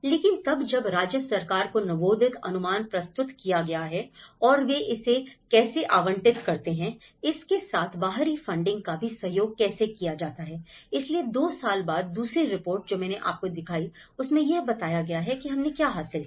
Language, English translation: Hindi, But then when the budge estimate has been presented to the state government and how they allocate it, how the external funding is also collaborated with it, so after 2 years the second report, which I showed you, how what we have achieved